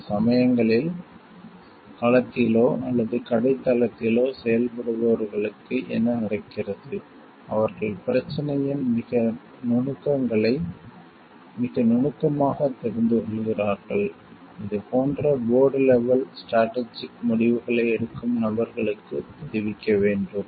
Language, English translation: Tamil, Sometimes what happens those who are operating in the field, or in the shop floor, they get to know very intricacies of the problem very nitty gritty of the issues, which needs to be conveyed to people who are taking the like maybe strategic decisions at the board level